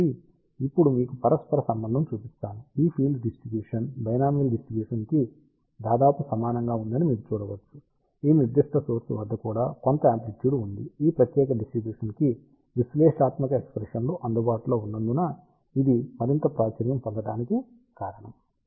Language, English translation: Telugu, So, now, let me show you the correlation you can see that this field distribution is almost similar to that of binomial distribution except that some amplitude is there even at this particular element; the reason why this is more popular because analytical expressions are available for this particular distribution